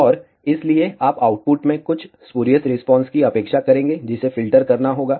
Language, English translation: Hindi, And hence, you will expect some spurious response in the output, which has to be filtered out